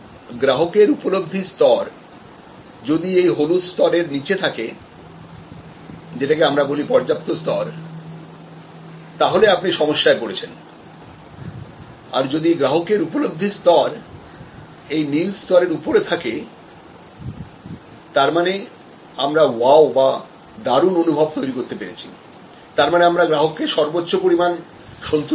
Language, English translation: Bengali, If the customer's perception is below this yellow level, the adequate level, then you are in trouble and if the customer's perception is above the blue level then you are creating wow factor, then you are creating customer delight